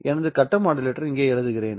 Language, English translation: Tamil, So, let me write down my face modulator here